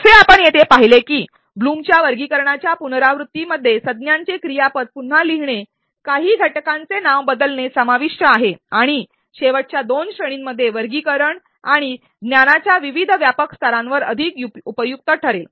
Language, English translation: Marathi, As you seen here the revision of blooms taxonomy involved re wording of noun to verb renaming of some of the components and even reposition in the last two categories to make the taxonomy more useful and comprehensive at different levels of knowledge